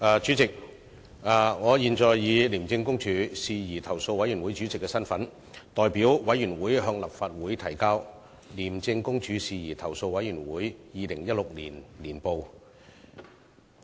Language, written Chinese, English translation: Cantonese, 主席，我現以廉政公署事宜投訴委員會主席的身份，代表委員會向立法會提交《廉政公署事宜投訴委員會二零一六年年報》。, President as the Chairman of the Independent Commission Against Corruption Complaints Committee I hereby table the Independent Commission Against Corruption Complaints Committee Annual Report 2016 on behalf of the Committee